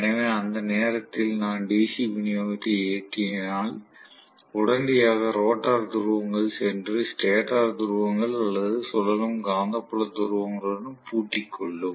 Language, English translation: Tamil, So at that point, if I turn on the DC supply, immediately the rotor poles will go and lock up with the stator pole or the revolving magnetic field poles